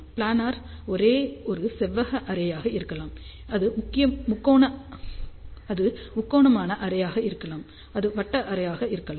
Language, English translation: Tamil, Now, planar array can be a rectangular array, it can be triangular array, it can be circular array